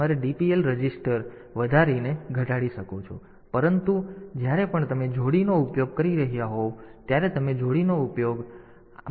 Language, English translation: Gujarati, So, you can increment decrement the DPL, but when you are you are using a pair whenever you are using a pair